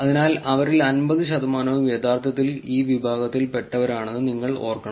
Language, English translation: Malayalam, So, you should remember in the abstract we saw that about 50 percent of them are actually of this category